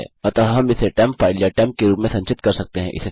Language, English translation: Hindi, So we can save that as temp file or temp